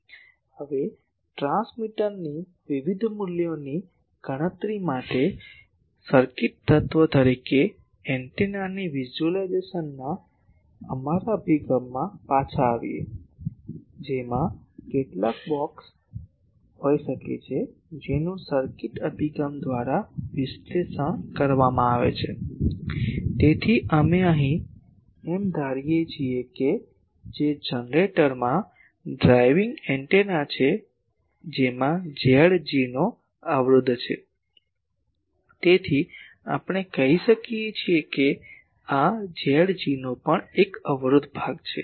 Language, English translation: Gujarati, Now, coming back to our approach of visualising antenna as a circuit element for calculating various values of transmitter, which may have some blocks which are analyzed by circuit approach; so, here we are assuming that the generator that is having a driving the antenna, that has an impedance of Z g so, this Z g also, we can say that these Z g is also having a resistive part